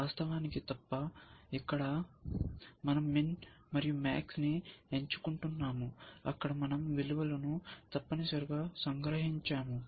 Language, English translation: Telugu, Except the of course, here we I choosing min and max, there we I just summing up the values essentially